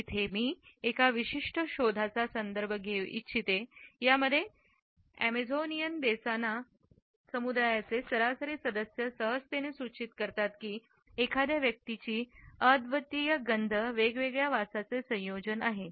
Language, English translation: Marathi, I would like to point out particular finding which suggests that the average member of the Amazonian Desana community will readily explain that an individual's unique odor is a combination of different smells